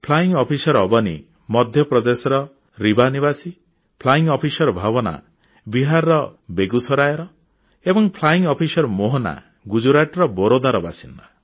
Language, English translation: Odia, Flying Officer Avni is from Rewa in Madhya Pradesh, Flying Officer Bhawana is from Begusarai in Bihar and Flying Officer Mohana is from Vadodara in Gujarat